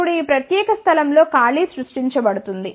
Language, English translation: Telugu, Now, the vacancy is created at this particular place